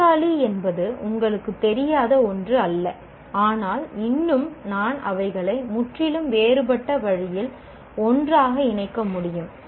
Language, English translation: Tamil, Chair is not something not known to us, but still I may be able to put them together in a completely different way